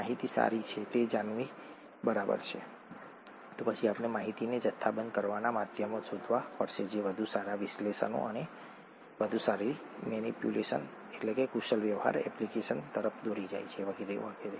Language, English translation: Gujarati, Knowing information is fine, then we will have to find means of quantifying the information which leads to better analysis and better manipulation application and so on so forth